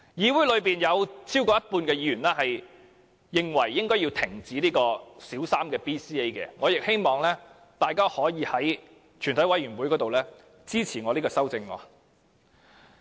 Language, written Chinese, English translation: Cantonese, 議會內有超過一半議員認為應停止推行小三 BCA， 我亦希望大家可以在全體委員會審議階段支持我的修正案。, More than half of the Members in this Council consider that the Government should shelve the idea of conducting BCA in Primary Three and I also hope that fellow Members would give their support to my CSAs during Committee stage